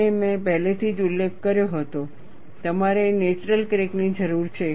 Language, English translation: Gujarati, And I had already mentioned, you need a natural crack